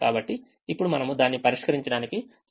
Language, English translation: Telugu, so now we are ready to solve it